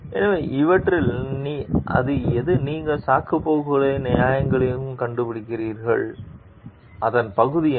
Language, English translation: Tamil, So, which of these are you find out excuses and justifications and what is the part of it